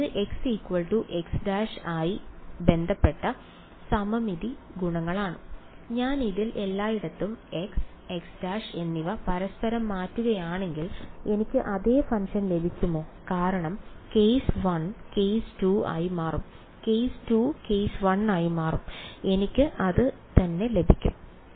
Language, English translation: Malayalam, looking at the form of the function can you say anything about it is symmetry properties with respect to x and x prime, if I interchange x and x prime everywhere in this will I get the same function yes right because case 1 will become case 2; case 2 will become case 1 and I will get the same thing